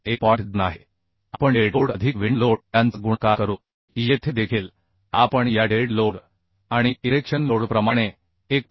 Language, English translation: Marathi, 2 we will multiply dead load plus wind load here also we multiply 1